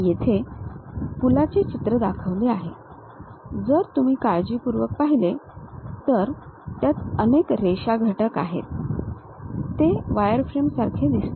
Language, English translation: Marathi, Here a picture of bridge is shown, if you look at carefully it contains many line elements, it looks like a wireframe